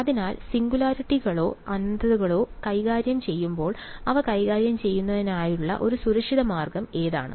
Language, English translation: Malayalam, So, when dealing with singularities or infinities what is the one safe way of dealing with them